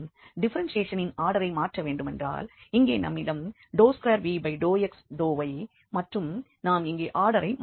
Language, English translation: Tamil, And changing the order of differentiation means that here we have del 2 v over del x over del y and here we have changed the order